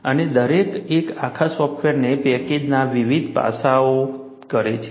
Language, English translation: Gujarati, And, each one performs different aspects of the whole software package